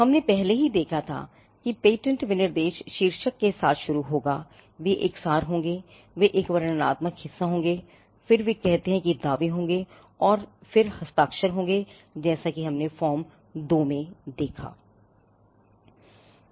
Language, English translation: Hindi, We had already seen that the patent specification shall start with the title they shall be an abstract, they shall be a descriptive part, then they say there shall be claims and then they shall be the signature I mean we saw that in the form 2